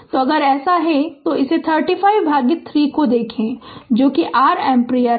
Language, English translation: Hindi, So, if it is so, so look at this 35 by 3 that is your ampere